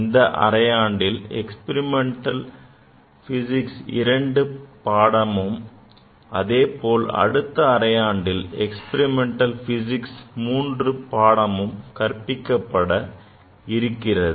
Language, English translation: Tamil, In this semester the experimental physics II will be offered, and the experimental physics III may be offered in successive semester